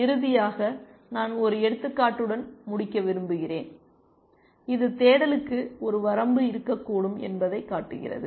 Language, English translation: Tamil, And finally, I want to end with an example, which shows that there can be a limitation to search